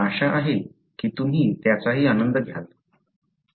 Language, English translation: Marathi, Hope you enjoy that too